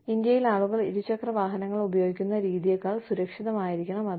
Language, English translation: Malayalam, That should be safer than, the manner in which, people used two wheelers in India